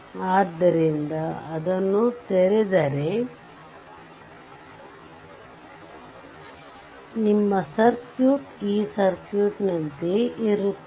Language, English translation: Kannada, So, if you open it your circuit will be like this circuit will be like this